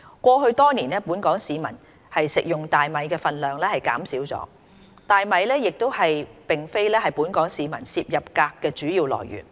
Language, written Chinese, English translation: Cantonese, 過去多年，本港市民食用大米的分量減少了，大米亦並非本港市民攝入鎘的主要來源。, Over the years the rice consumption in Hong Kong has decreased . Also rice is not the main source of cadmium intake of the local population